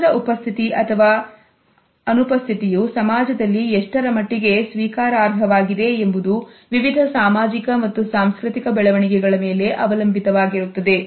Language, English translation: Kannada, The presence or absence of touch the extent to which it is acceptable in a society depends on various sociological and cultural developments